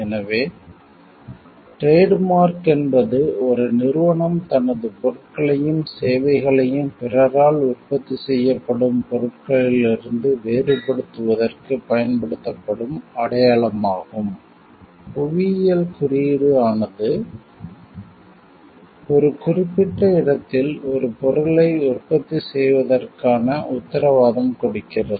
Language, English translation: Tamil, So, while trademark is a sign used by a company to distinguish it is goods and services from those produced by others geographical indication offers, the guarantee for the production of a product in a particular place